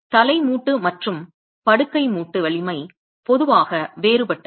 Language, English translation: Tamil, The strength of the head joint and the bed joint is typically different